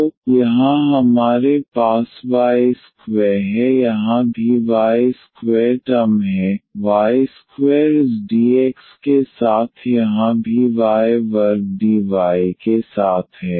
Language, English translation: Hindi, So, here we have y square here also we have y square term, y square with this dx here also y square with the dy